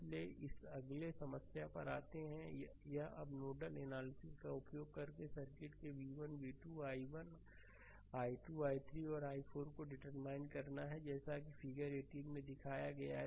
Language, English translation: Hindi, So, this one now next you come to this problem using nodal analysis you determine v 1 v 2 i 1 i 2 i 3 and i 4 of the circuit as shown in figure 18 right this figure